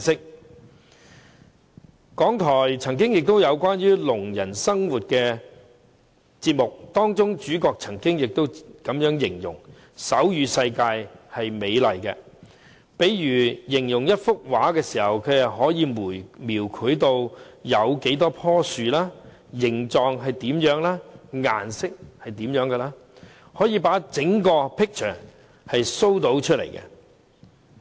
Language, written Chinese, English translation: Cantonese, 香港電台曾經製作一個關於聾人生活的節目，當中的主角曾經這樣形容：手語世界是美麗的，例如形容一幅畫時，它可以描繪有多少棵樹，形狀是怎樣，顏色是怎樣，可以把整幅 picture show 出來。, The Radio Television Hong Kong once produced a programme on the life of the deaf community . The main character remarked that the world in sign language is beautiful in the sense that when it comes to describing a painting for example sign language can detail the number shapes and colours of the painted trees . It can show the whole picture